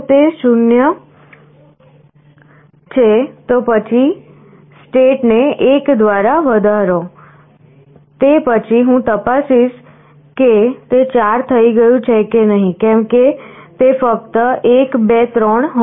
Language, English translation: Gujarati, If it is 0 then increment state by 1; then I check if it has become 4, because it can be only 1, 2, 3